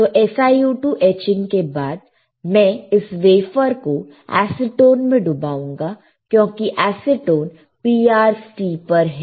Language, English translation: Hindi, So, after etching SiO2, I will dip this wafer in acetone right acetone because acetone is PR steeper